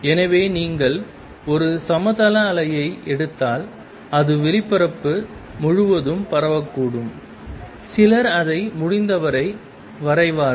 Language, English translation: Tamil, So, if you take a plane wave it may be spread all over space, some drawing it as much as possible